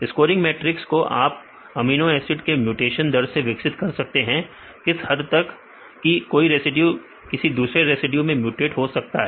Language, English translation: Hindi, Scoring matrix you can develop from the mutation rates of amino acid residues how far each residue is mutated to different types of residues we can make that